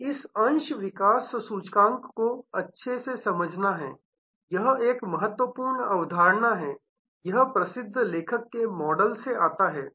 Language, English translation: Hindi, Now, it is good to understand this share development index, this is an important concept, it comes from the famous author model